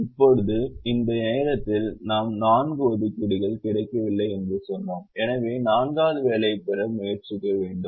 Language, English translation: Tamil, now at this point we said that we have not got four assignments and therefore we need to try and get the fourth assignment